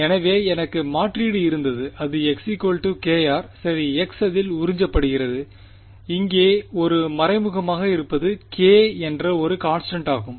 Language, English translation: Tamil, So, I had the substitution that k r is equal to x right the x is absorbed into it what is implicit over here was is a k is a constant right